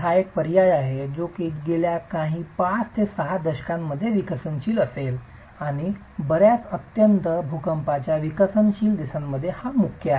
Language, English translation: Marathi, This is an alternative which has been developing over the last few decades, 5 to 6 decades and quite predominant in many highly seismic developing countries